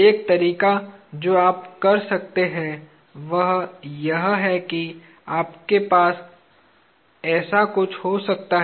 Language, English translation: Hindi, One way that you can do is you can have something like this